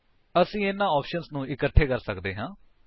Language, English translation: Punjabi, We can combine these options as well